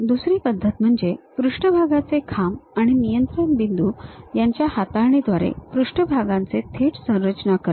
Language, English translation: Marathi, The other method is directly construction of surface by manipulation of the surface poles and control points